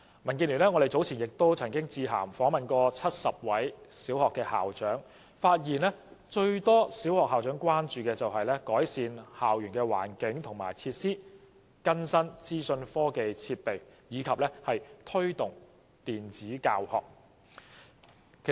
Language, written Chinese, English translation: Cantonese, 民建聯早前曾經致函訪問70位小學校長，發現最多小學校長關注的是改善校園環境或設施，更新資訊科技設備及推動電子教學。, Earlier DAB interviewed 70 primary school principals by letter and found that the greatest concern to most of them are improving the environment or facilities of the campus replacing information and technology equipment and promoting e - teaching